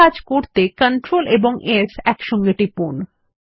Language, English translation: Bengali, Press the CTRL+S keys together to do this